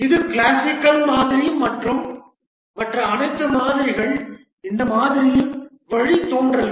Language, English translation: Tamil, This is the classical model and all other models are derivatives of this model